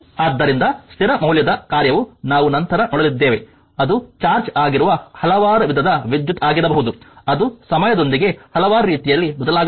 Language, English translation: Kannada, So, constant valued function as we will see later that can be several types of current that is your charge can be vary with time in several ways